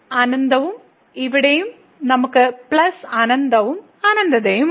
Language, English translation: Malayalam, So, infinity and here also we have plus infinity plus infinity